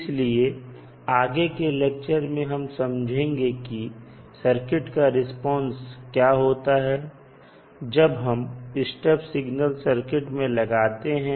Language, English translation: Hindi, So, in the later session of our discussion we will try to understand that what will happen to the circuit response when you apply step response to the circuit